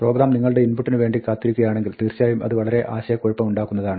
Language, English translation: Malayalam, Now, of course, if the program is just waiting for you for input, it can be very confusing